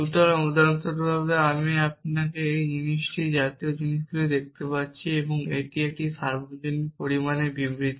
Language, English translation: Bengali, So, for example, I see you or things like that, and this is a universally quantified statement